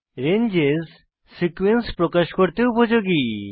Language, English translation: Bengali, Ranges are used to express a sequence